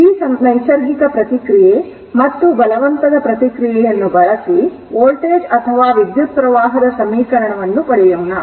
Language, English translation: Kannada, So, using this natural response and forced response, so we will try to obtain the your what you call expression of the your voltage or current whatever you want